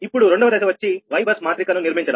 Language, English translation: Telugu, second step is that your formation of your y bus matrix, right